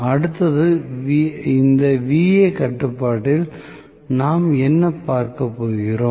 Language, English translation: Tamil, Then next one, what we are going to look at this Va control